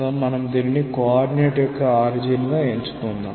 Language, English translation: Telugu, So, if we choose this as our origin of the coordinate